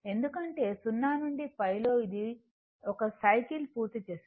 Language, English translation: Telugu, I told you that because, in 0 to pi, it is completing 1 cycle